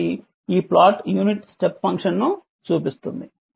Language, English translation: Telugu, So, this is the the plot how you will show the unit step step function right